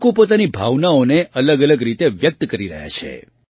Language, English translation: Gujarati, People are expressing their feelings in a multitude of ways